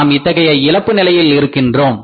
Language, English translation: Tamil, There rather we are at the state of loss